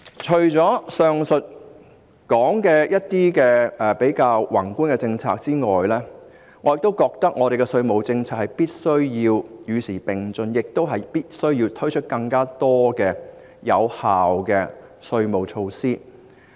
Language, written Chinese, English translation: Cantonese, 除了上述的一些較宏觀的政策之外，我覺得本港的稅務政策必須與時並進，亦必須推出更多有效的稅務措施。, Apart from the more macroscopic policies I mentioned just now I think the tax policy of Hong Kong must be kept abreast of the times and it is necessary to introduce more effective tax measures